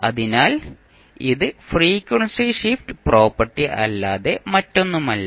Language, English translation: Malayalam, So, this is nothing but frequency shift property